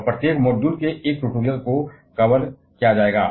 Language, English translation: Hindi, And each of the module will be followed by one tutorial